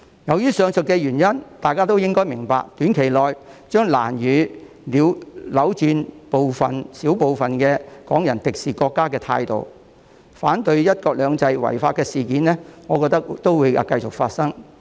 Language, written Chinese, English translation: Cantonese, 基於上述原因，大家應該明白，短期內將難以扭轉小部分港人敵視國家的態度，我覺得反對"一國兩制"的違法事件將會繼續發生。, For these reasons we should realize that the hostile attitude of a handful of Hong Kong people towards our country can hardly be reversed in the short term . I reckon that unlawful incidents in breach of one country two systems will continue to take place